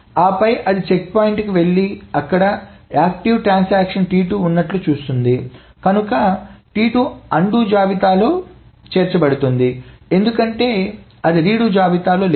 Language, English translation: Telugu, And then it goes to the checkpoint and sees that there is an active transaction T2, so that is also added to the undo list because that is not in the redo list